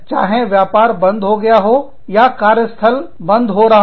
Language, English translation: Hindi, Either, the business closes down, or, the work place closes down